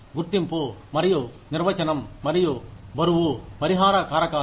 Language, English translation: Telugu, Identification and definition, and weighing of compensable factors